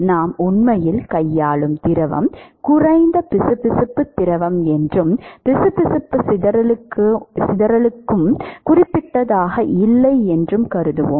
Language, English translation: Tamil, We will also assume that the fluid that we are actually dealing with is a low viscous fluid and therefore, the viscous dissipation is also not significant